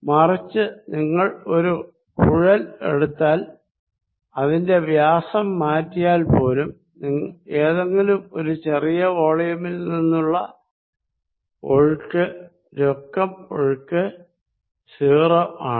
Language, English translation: Malayalam, On the other hand, if you see a pipe although it is area may change, the net flow through any small volume is 0